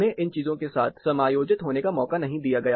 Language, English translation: Hindi, They were not allowed to get adjusted or acclimatized to these things